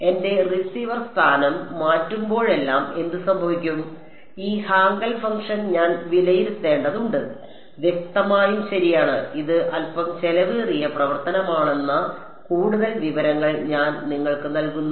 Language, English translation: Malayalam, What will happen at every time I change my receiver position r prime I have to evaluate this Hankel function; obviously, right and I am giving you further information that that is a slightly expensive operation